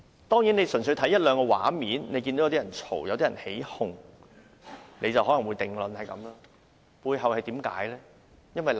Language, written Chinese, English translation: Cantonese, 當然，純粹看一兩個畫面，看見有人吵鬧、起哄，可能便會得出這個定論，但背後有何原因呢？, Certainly if we merely look at one or two scenes where people are quarrelling and making a fuss we may come to this conclusion . Yet what is the reason behind all these?